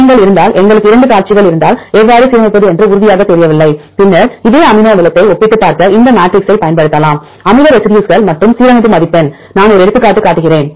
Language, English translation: Tamil, If we have two sequences if you are not sure how to align then we can use these matrices to compare the similar amino acid residues and score the alignment, I show one example